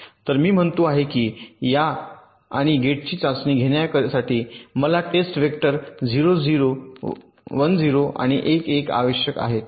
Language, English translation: Marathi, now, ok, so i say that to test this and gate i need three test vectors: zero one, one zero and one one